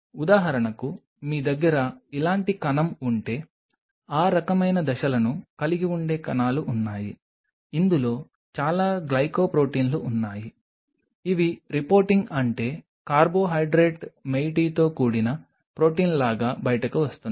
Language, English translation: Telugu, There are cells which have those kinds of phase if for example, you have a cell like this, which has lot of glycoproteins which are coming out like reporting means protein with a carbohydrate moiety